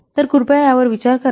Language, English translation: Marathi, So please think up on this